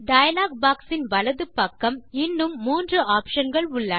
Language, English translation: Tamil, There are three more options on the right hand side of the dialog box